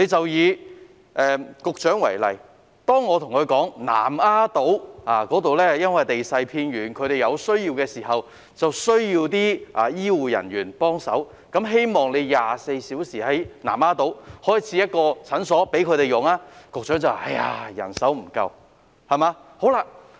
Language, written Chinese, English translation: Cantonese, 以局長為例，當我跟她討論南丫島地勢偏遠，當地居民在有需要時缺乏醫護人員協助，因此希望當局在南丫島開設一間24小時診所時，局長便答覆說醫護人手不足。, Take the Secretary as an example when I discussed with her the keen demand for setting up a 24 - hour clinic on Lamma Island given the lack of healthcare workers to assist residents living on the remote island in times of need the Secretary said that there was a shortage of manpower